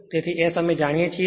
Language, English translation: Gujarati, So, S we have got 0